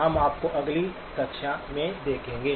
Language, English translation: Hindi, We will see you in next class